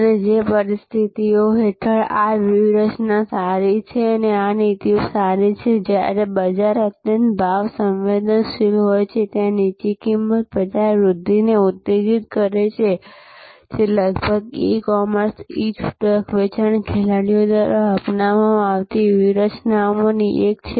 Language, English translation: Gujarati, And the conditions under which this strategies good, this policies good is, when the market is highly price sensitive and there low price stimulates market growth, which is one of the strategies being adopted by almost all e commerce, e retailing players